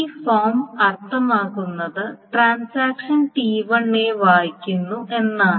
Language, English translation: Malayalam, So this essentially means that the form being is that transaction T1 reads A